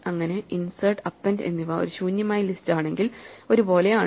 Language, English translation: Malayalam, So, insert and append both behave the same way with an empty list